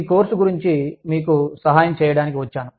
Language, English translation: Telugu, I will be helping you, with this course